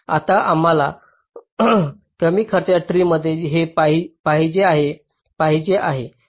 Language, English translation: Marathi, now, this is what we are wanting in the minimum cost tree